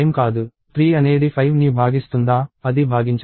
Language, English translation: Telugu, Is 5 divisible by 3; it is not